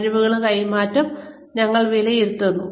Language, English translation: Malayalam, We evaluate transfer of skills